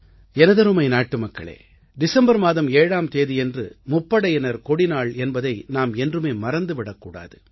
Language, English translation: Tamil, My dear countrymen, we should never forget that Armed Forces Flag Day is celebrated on the 7thof December